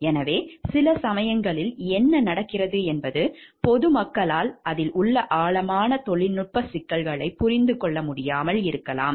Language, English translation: Tamil, So, sometimes what happens the general public at large may not understand the in depth technical issues involved in it